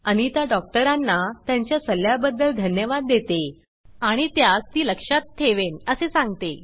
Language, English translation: Marathi, Anita thanks Dr Anjali for her advice and says she will keep them in mind